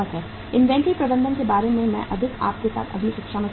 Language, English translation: Hindi, More about the inventory management I will discuss with you in the next class